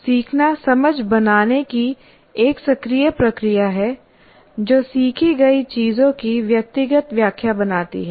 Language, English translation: Hindi, Learning is an active process of making sense that creates a personal interpretation of what has been learned